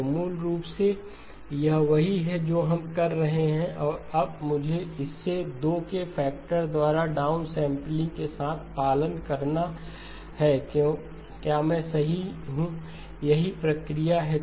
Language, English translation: Hindi, So basically this is what we are doing and now I have to follow it up with a down sampling by a factor of 2, am I right, that is the process